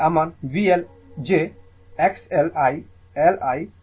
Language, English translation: Bengali, This side my V L j X L I L